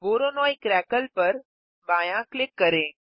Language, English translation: Hindi, Left click Voronoi crackle